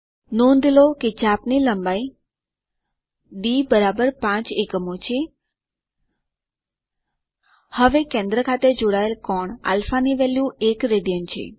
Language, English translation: Gujarati, Notice that the arc length is d=5 units, and the value of α the angle subtended at the center is 1 rad